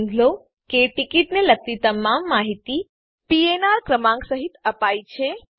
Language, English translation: Gujarati, Note that all the information about the ticket are also given including the PNR number